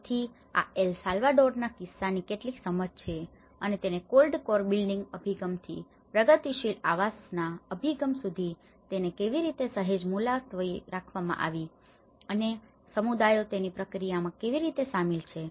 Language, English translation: Gujarati, So, these are some of the understanding from the El Salvador case and how it slightly deferred from the cold core building approach to a progressive housing approach and how communities are involved in the process of it